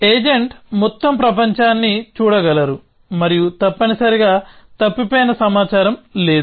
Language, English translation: Telugu, The agent can see the entire world and there is no missing information essentially